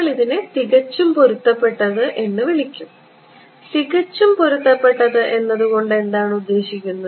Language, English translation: Malayalam, We are calling this perfectly matched; perfect matched means what